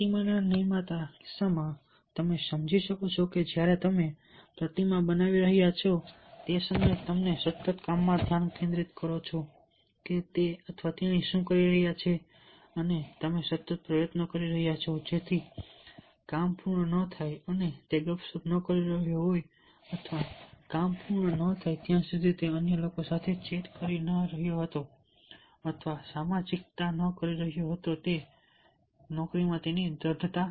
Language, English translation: Gujarati, as in the case of the maker of the statue, you can understand that when he was making the statue, at that time you are consistently concentrating in the job what he or she was doing and he was putting a effort constantly so that the job which completed, and he is not chatting, or he was not chatting or socializing with others till the job was completed and that was his persistence in the job